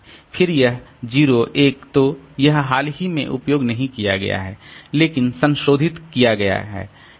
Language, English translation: Hindi, Then this 0 1 so this is not recently used but modified